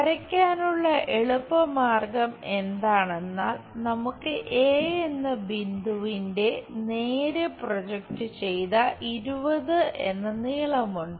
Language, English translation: Malayalam, Let us look at the solution To draw the thing the easy way is we have the point A straight forward projection of 20 lengths is done